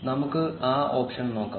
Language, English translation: Malayalam, Let us look at that option